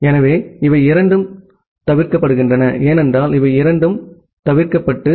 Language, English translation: Tamil, So, these two are being omitted, because these two are being omitted